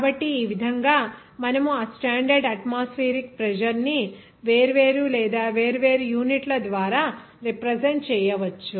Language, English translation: Telugu, So, in this way, we can represent that standard atmospheric pressure at different or by different units